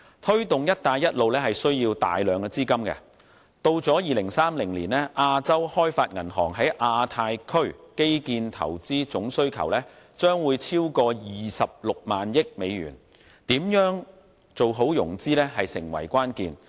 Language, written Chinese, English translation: Cantonese, 推動"一帶一路"需要大量資金，至2030年，亞洲開發銀行在亞太區基建投資總需求將會超過 260,000 億美元，如何做好融資成為關鍵。, It takes a lot of capital to take forward the Belt and Road initiative . Up to 2030 the Asian Development Bank will need to inject more than US26,000 billion in its Asia - Pacific infrastructural investments